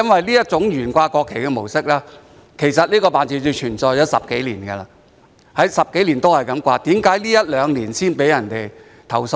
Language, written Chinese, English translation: Cantonese, 這種懸掛國旗的模式，其實在該辦事處已存在10多年，既然10多年來也是這麼懸掛，為何在這一兩年才被人投訴呢？, The flying of the national flag has been the practice of that office for over a decade . Since this has been the practice for over a decade why were there complaints only in the past two years?